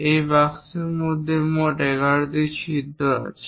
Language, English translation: Bengali, In total 11 holes are there for this box